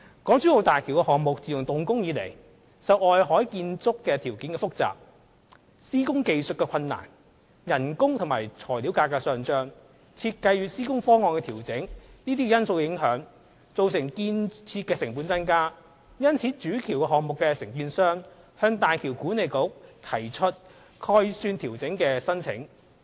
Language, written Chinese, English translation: Cantonese, 港珠澳大橋項目自動工以來，受外海建築條件複雜、施工技術困難、工資與材料價格上漲、設計與施工方案調整等因素影響，造成建設成本增加；主橋項目承建商因而向大橋管理局提出概算調整的申請。, Since the beginning of the construction works of the HZMB project there has been an escalation in costs arising from factors like the complicated construction conditions in the open seas difficulties in execution of works increase in labour and material costs as well as refinement of the design and construction schemes . Because of this the contractors of the Main Bridge project have submitted applications to the HZMB Authority to adjust the project estimate